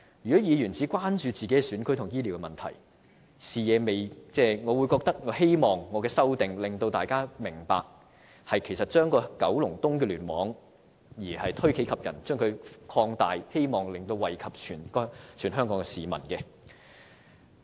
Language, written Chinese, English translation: Cantonese, 如果議員只關注自己選區的醫療問題，我希望我的修正案能令大家明白推己及人，將視野從九龍東聯網擴大至其他聯網，從而惠及全港市民。, If Members are only concerned about the healthcare issues in their own constituencies I hope that through my amendment Members will understand how to put themselves into others shoes and look beyond KEC to other clusters with a view to benefiting people across the territory